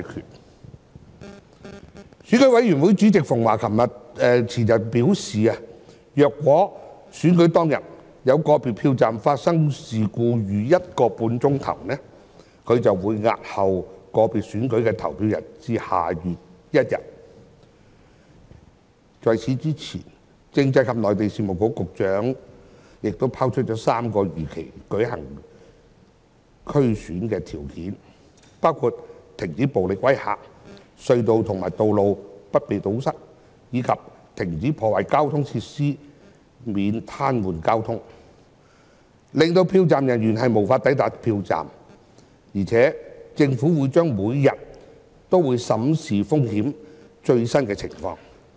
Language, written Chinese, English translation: Cantonese, 選舉管理委員會主席馮驊前天表示，如果選舉當天有個別票站發生事故逾一個半小時，他便會押後個別選區的投票至下月1日，在此之前，政制及內地事務局局長亦拋出3項如期舉行區議會選舉的條件，包括停止暴力威嚇、隧道和道路不被堵塞，以及停止破壞交通設施及癱瘓交通，令票站人員無法抵達票站，而且政府將會每天審視風險及最新的情況。, The Chairman of the Electoral Affairs Commission Barnabas FUNG said the day before yesterday that if an individual polling station stopped operating due to unexpected incidents for over one and a half hours on the polling day the voting of the constituency concerned would be postponed to 1 December . Before that the Secretary for Constitutional and Mainland Affairs set out three conditions for holding the DC Election as scheduled and these included violence and all kinds of duress should stop; blocking of tunnels highways and roads should cease; destruction to transport facilities should halt altogether to prevent paralysing the traffic so that polling station staff would be able to report duty at their assigned stations on time . He also stressed that the Government would keep in view the risks involved and the latest situation on a daily basis